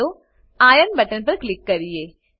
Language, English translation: Gujarati, Let us click on Iron button